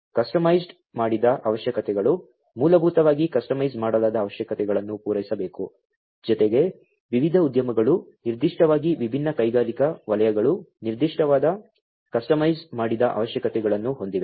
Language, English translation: Kannada, customised requirements, basically customized requirements will have to be fulfilled, in addition, to the because different industry, the particularly different industrial sectors have specific in, you know, customized requirements